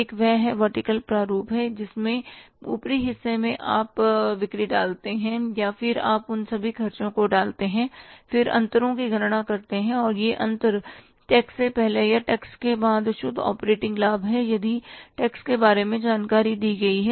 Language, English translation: Hindi, One is the vertical format where in the upper part you put the sales and then you put the all expenses, you calculate the difference and that difference is the net operating profit before tax or after tax if the tax information is given